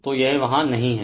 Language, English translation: Hindi, So, this is not there right